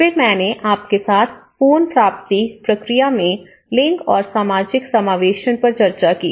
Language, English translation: Hindi, Again, I discussed with you the gender and social inclusion in the recovery process